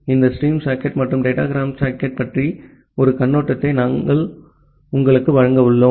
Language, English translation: Tamil, We are going to give you an overview about this stream socket and the datagram socket